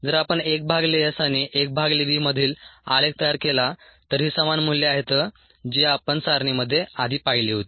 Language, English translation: Marathi, if we plot a graph between one by s and one by v, these are the same values that we saw in the table earlier